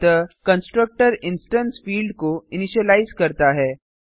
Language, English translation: Hindi, So the constructor initializes the instance field